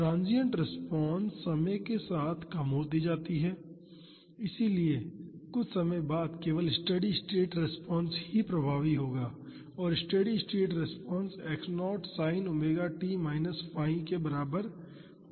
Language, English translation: Hindi, Transient response decays in time so, after some time only steady state response will be dominant and the steady state response is equal to x naught sin omega t minus phi